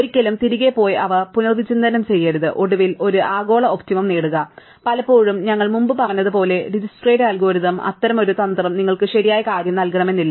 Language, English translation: Malayalam, Never go back and reconsider them and finally, achieve a global optimum and very often as we mentioned before with the Dijkstra's algorithm, such a strategy may not give you the right thing